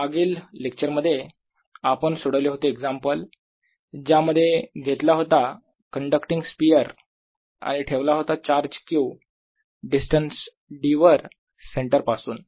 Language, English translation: Marathi, the example we solve in the previous lecture was: taken a conducting sphere and put charge q at a distance d from it centre